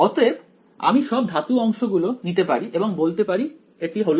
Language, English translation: Bengali, So, I can take all the metal parts and say this is